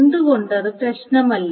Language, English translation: Malayalam, Why does it not matter